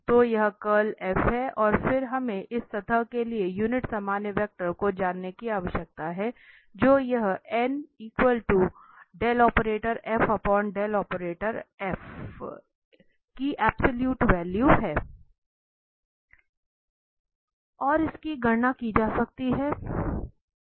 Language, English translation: Hindi, So this is the curl F and then we need to know the unit normal vector to this surface del f over its modulus and that can be computed